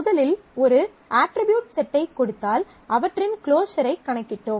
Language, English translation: Tamil, So, given a set of attributes we also compute the closure of a set of attributes